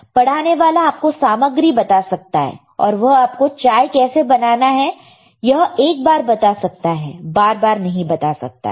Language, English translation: Hindi, Instructor is there to tell you the ingredients, he will show you how to make tea for one time, not every time right